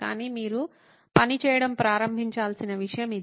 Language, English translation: Telugu, But it’s something for you to start working on